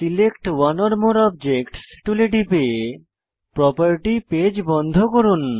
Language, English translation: Bengali, Click on Select one or more objects tool, to close the text tools property page